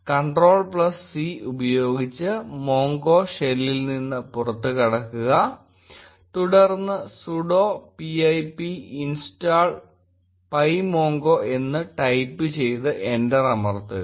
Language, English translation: Malayalam, Exit mongo shell by using Ctrl+C and then, type sudo pip install pymongo and press enter